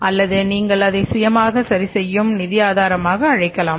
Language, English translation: Tamil, So, this is another self adjusting source of finance